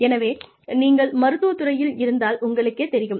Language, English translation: Tamil, So, you know, if you are in the medical field